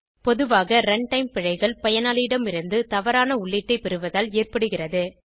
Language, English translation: Tamil, Runtime errors are commonly due to wrong input from the user